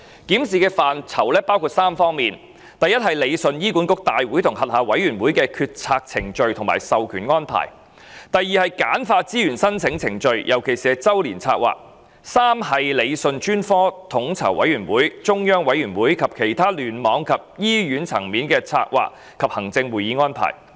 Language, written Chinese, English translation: Cantonese, 檢視範疇包括3方面：第一，理順醫管局大會及轄下委員會的決策程序或授權安排；第二，簡化資源申請程序，尤其是周年策劃；以及第三，理順專科統籌委員會、中央委員會及其他聯網和醫院層面的策劃及行政會議安排。, The review will cover three aspects first the scope for delegation or streamlining in the decision - making processes of the HA Board and its committees; second simplifying the resource bidding process especially the process of formulating annual plans; and third streamlining meetings of coordinating committees and central committees and other strategic planning and management meetings at cluster or hospital levels